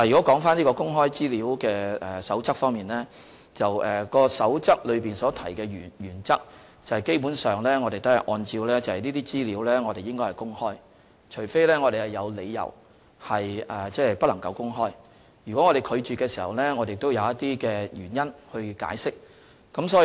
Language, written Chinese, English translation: Cantonese, 基本上我們一直按照《守則》所訂的原則行事，即所有資料均應予以公開，除非我們有理由不能公開，如果我們拒絕發放資料，須提出原因加以解釋。, We have basically adhered to the principles enshrined in the Code that is all information should be released unless there are reasons that certain information must be handled otherwise . If we refuse to disclose certain information we must give reasons